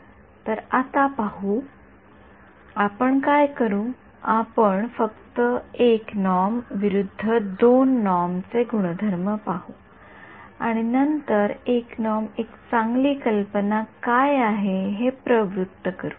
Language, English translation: Marathi, So, now let us look at; so, what will do is we will just look at a property of 1 norm vs 2 norm and then motivate why 1 norm is a good idea